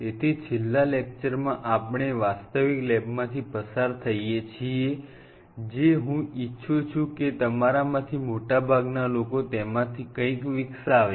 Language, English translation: Gujarati, So, in the last class we kind of walked through or virtual lab, which I wish most of you develop something